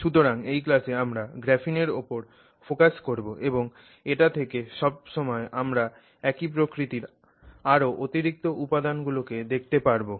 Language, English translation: Bengali, So, in this class we will focus on graphene and then from there you can always look up additional material on materials of similar nature